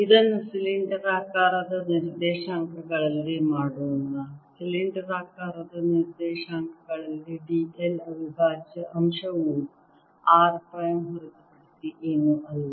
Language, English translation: Kannada, in cylindrical coordinates they coordinate where the element d l prime is is nothing but r phi